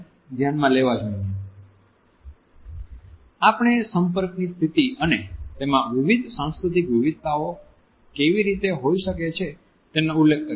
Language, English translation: Gujarati, We have referred to the position of touch and how it can have different cultural variations